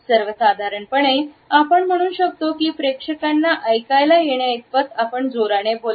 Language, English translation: Marathi, In general, we can say that we should be loud enough so that the audience can hear us